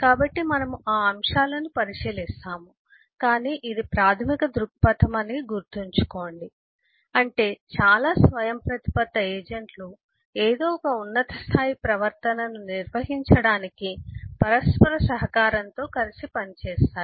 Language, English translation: Telugu, So we will take a look into those aspects, but just remember, this is the basic view, that is, a number of autonomous agents collaborate, work together to perform some high level behavior